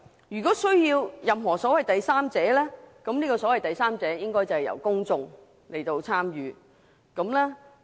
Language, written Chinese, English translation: Cantonese, 如需任何所謂第三者，這個所謂第三者應由公眾參與。, If there is a need for a third party the public should be engaged as this so - called third party